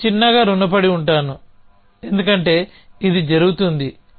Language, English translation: Telugu, I will owe it as a small, because it happens